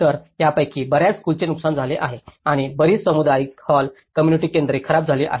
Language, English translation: Marathi, So, many of these schools were damaged and many of the community halls, community centers have been damaged